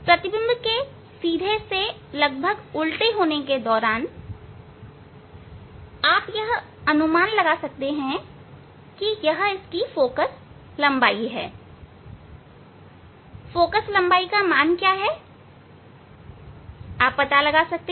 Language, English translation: Hindi, during the changing from erect to the inverted there you can approximately you can guess that it is this focal length is what is the magnitude that you can find out